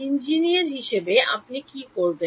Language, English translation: Bengali, As an engineer, what would you do